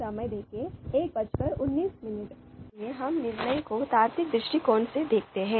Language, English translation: Hindi, So we look at decision making from the logical perspective